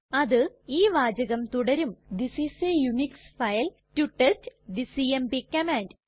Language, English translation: Malayalam, It will contain the text This is a Unix file to test the cmp command